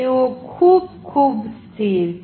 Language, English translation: Gujarati, They are very, very stable